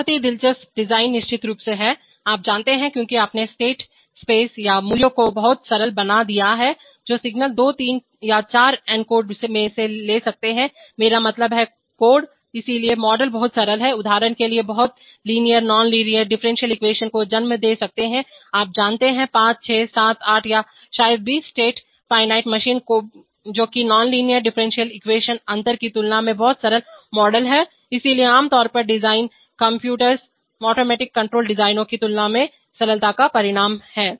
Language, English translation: Hindi, One very interesting, design is of course, you know, since you have so much simplified the state space or the values that thing, that signals can take into two three or four encodes, I mean, codes, so the models are much simpler, so for example very linear, nonlinear, differential equations can then finally give rise to some, you know, five, six, seven, eight, or maybe 20 state finite state machine which is a much simpler model compared to the compared to the nonlinear differential equation, so generally design is order of magnitude simpler than continuous automatic control designs